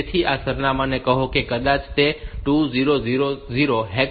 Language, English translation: Gujarati, So, these addresses maybe say 2000 hex